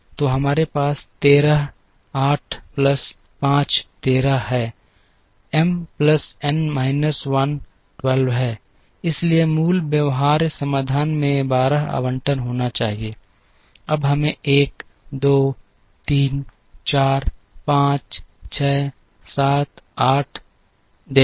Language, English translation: Hindi, So, we have 13, 8 plus 5 is 13, M plus N minus 1 is 12, so the basic feasible solution should have 12 allocations, now let us see 1, 2, 3, 4, 5, 6, 7, 8, 9, 10, 11 allocations we have